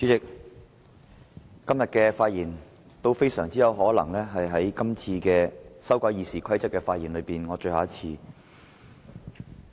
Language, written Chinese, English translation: Cantonese, 主席，我今天的發言，很有可能是我就修改《議事規則》所作的最後一次發言。, President my speech today is likely to be my last speech on the amendment to the Rules of Procedure RoP